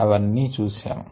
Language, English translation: Telugu, that's what we saw